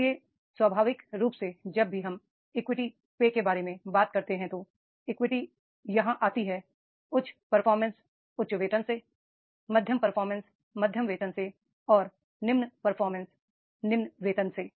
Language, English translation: Hindi, So naturally whenever we talk about the equity, so equity comes here, high performance, high pay, moderate performance, moderate pay and low performance and low pay